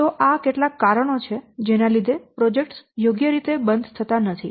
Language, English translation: Gujarati, So let's first see why are projects not properly closed